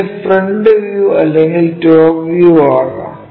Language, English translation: Malayalam, This might be the front view top view